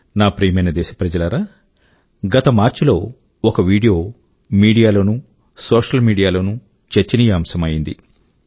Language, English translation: Telugu, My dear countrymen, in March last year, a video had become the centre of attention in the media and the social media